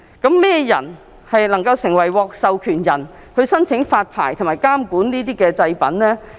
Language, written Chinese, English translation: Cantonese, 甚麼人能夠獲授權發牌和監管這些製品呢？, Who can become the authorized persons for licensing and monitoring ATPs?